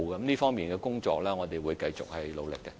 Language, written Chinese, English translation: Cantonese, 這方面的工作，我們會繼續努力進行。, We will continue our efforts in this respect